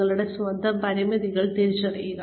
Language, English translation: Malayalam, Recognize your own limitations